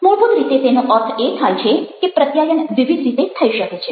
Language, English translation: Gujarati, what they mean basically, is that communication can take place in various ways